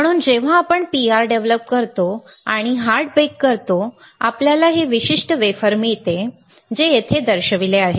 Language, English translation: Marathi, So, when we do PR developing and hard bake; you get this particular wafer which is shown right over here